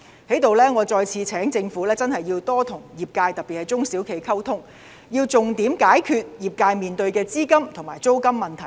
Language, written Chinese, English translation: Cantonese, 我在這裏再次促請政府多跟業界，特別是中小企溝通，要重點解決業界面對的資金和租金問題。, I wish to urge the Government to communicate more with the trade in particular SMEs with a view to resolving their problems with cash flow and rents